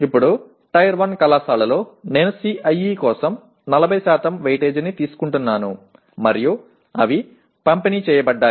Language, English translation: Telugu, Now, whereas in Tier 1 college, I am taking 40% weightage for CIE and they are distributed